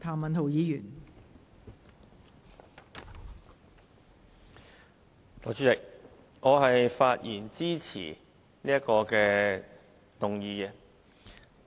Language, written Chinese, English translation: Cantonese, 代理主席，我發言支持這項議案。, Deputy President I speak in support of this motion